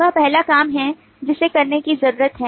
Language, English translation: Hindi, that is the first thing that needs to be done